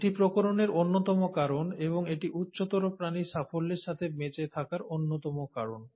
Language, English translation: Bengali, Now this has been one of the major reasons for variation and is one of the major reasons for success of survival in higher organisms